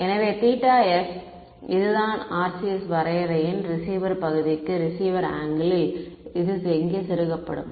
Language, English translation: Tamil, So, this theta s is what I will plug in over here into the receiver angle into the receiver part of the RCS definition ok